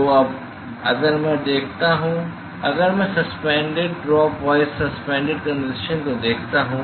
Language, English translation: Hindi, So, now, if I look at the, if I look at the suspended drop wise suspended condensation